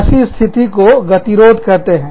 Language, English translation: Hindi, That stage is called, an impasse